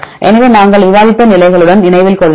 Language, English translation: Tamil, So, remember with positions we discussed